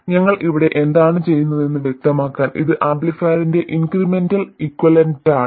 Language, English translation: Malayalam, So, just to be clear about what we are doing here, this is the incremental equivalent of the amplifier